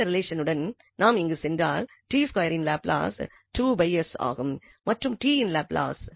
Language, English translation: Tamil, So, with this relation, if we go here Laplace of t square will be 2 over s and the Laplace of t